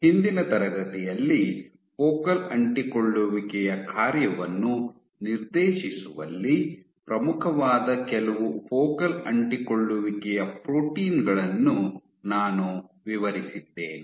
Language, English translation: Kannada, In the last class I describe some of the focal adhesions proteins which are most prominent in dictating the function of focal adhesions